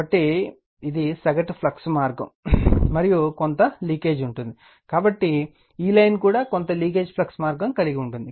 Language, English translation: Telugu, So, this is the mean flux path, and there will be some leakage so, this line also so some leakage flux path right